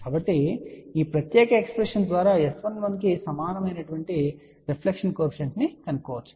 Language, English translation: Telugu, So, we can find reflection coefficient equal to S 11 by this particular expression